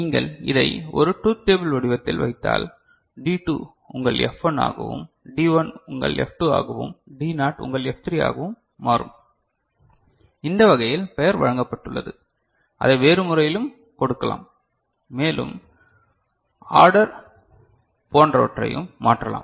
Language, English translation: Tamil, If you put it in the form of a truth table so, D2 becomes your F1, D1 becomes your F2 and D naught becomes your F3 this is the way we have, you know name has been given we can give it in a different manner also, change the order etcetera